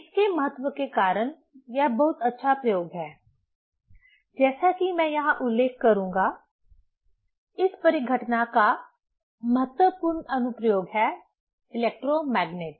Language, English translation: Hindi, This is a very nice experiment because of its importance, as I will mention here, the important application of this phenomena that is electromagnet